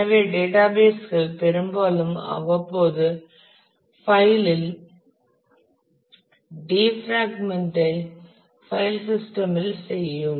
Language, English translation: Tamil, So, databases often will periodically defragment the file system